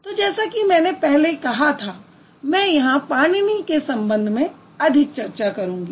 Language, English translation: Hindi, So, as I mentioned a while ago, I would focus more on Panini here